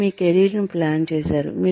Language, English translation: Telugu, You planned your career